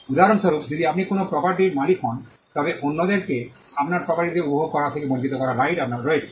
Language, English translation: Bengali, For instance, if you own a property, then you have a right to exclude people from getting into the property or enjoying that property